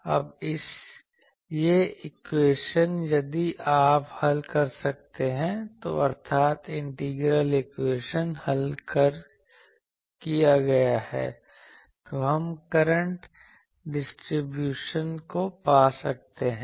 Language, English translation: Hindi, Now, this equation if you can solve that means integral equation solving, then we can find the current distribution